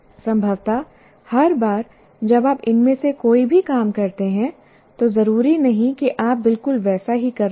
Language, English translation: Hindi, Possibly each time you do any of these things, you are not necessarily doing exactly the same way